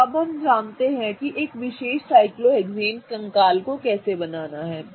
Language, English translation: Hindi, Okay, so now we know how to draw a particular cyclohexane skeleton